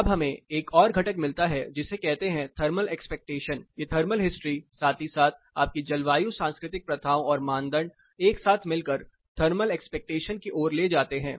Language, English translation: Hindi, Now, we get another component called thermal expectation, These thermal history, as well as your climo cultural practices and norms, together lead to something called thermal expectation